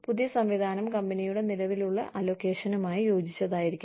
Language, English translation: Malayalam, New system should fit realistically, into the existing allocation of the company